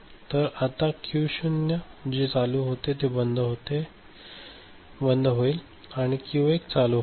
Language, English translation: Marathi, So, Q naught which was ON now becomes OFF right and Q 1 becomes ON ok